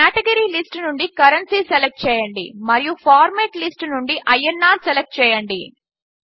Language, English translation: Telugu, Select Currency from the Category List and INR from the Format List